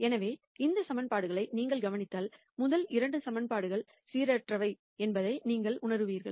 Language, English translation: Tamil, So, if you notice these equations you would realize that the first 2 equations are inconsistent